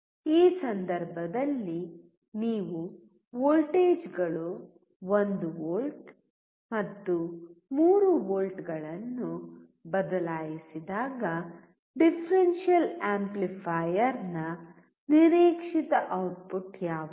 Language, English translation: Kannada, In this case when you change the voltages 1 volt and 3 volt, what is the expected output of the differential amplifier